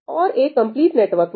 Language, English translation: Hindi, And in a complete network